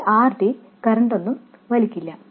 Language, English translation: Malayalam, This RD doesn't draw any current